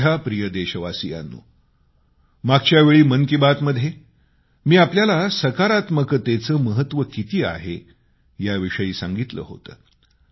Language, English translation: Marathi, My dear countrymen, I had talked about positivity during the previous episode of Mann Ki Baat